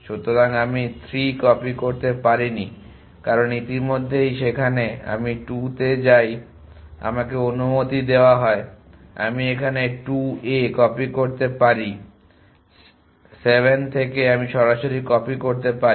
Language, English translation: Bengali, So, because I could not copy 3, because already there I go to 2 I am allowed I can copy to 2 here than 7 I can copy directly